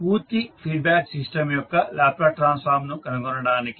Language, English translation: Telugu, To find the Laplace transform of the complete feedback system